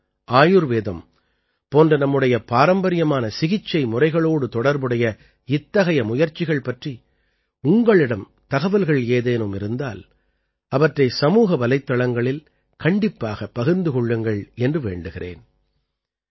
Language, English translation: Tamil, I also urge you that if you have any information about such efforts related to Yoga, Ayurveda and our traditional treatment methods, then do share them on social media